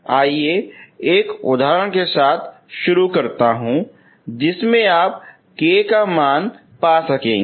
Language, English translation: Hindi, I will start with an example in which case you will able to find k values